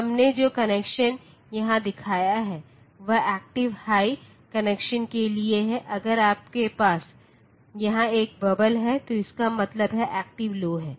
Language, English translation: Hindi, So, the connection that we have shown here is for active high connection, if you have a bubble here so that will mean that it is active low connection